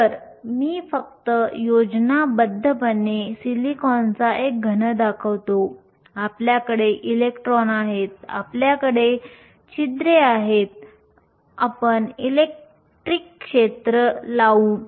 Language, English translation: Marathi, So, I will just show schematically a solid of silicon, you have electrons, you have holes, you apply an electric field